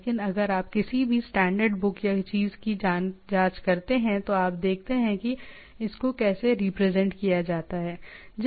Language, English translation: Hindi, But if you check in any standard book or thing, so you see that how it is represented